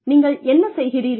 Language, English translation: Tamil, What you want to do